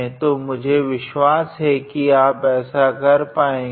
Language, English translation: Hindi, So, I am pretty sure you can be able to do that